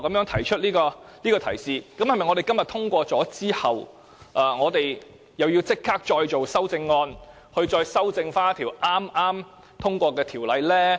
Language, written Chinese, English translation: Cantonese, 提出這樣的提述，是否我們今天通過《條例草案》後，便要立即再行修改，以期修正剛通過的條例呢？, If the Government had not brought up this issue and we really pass the original Bill today are we supposed to amend the enacted legislation right now immediately?